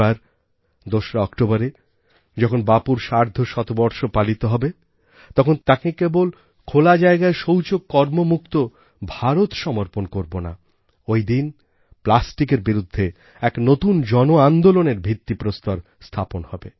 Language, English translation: Bengali, This year, on the 2nd of October, when we celebrate Bapu's 150th birth anniversary, we shall not only dedicate to him an India that is Open Defecation Free, but also shall lay the foundation of a new revolution against plastic, by people themselves, throughout the country